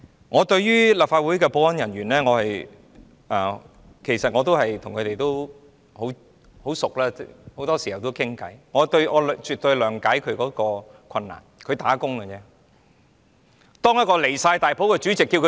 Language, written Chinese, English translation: Cantonese, 我與立法會的保安人員也很相熟，很多時候也會一起聊天，我絕對諒解他們的困難，他們只是"打工"而已。, I am also acquainted with the security staff of the Legislative Council . We often chat together . I definitely understand their difficulties for they are just doing their job